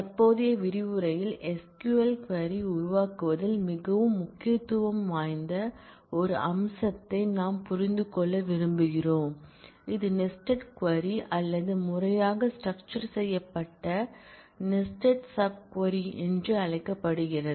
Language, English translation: Tamil, In the current module, we want to understand a feature which is very very important in SQL query forming it is called the nested query or more formally nested sub query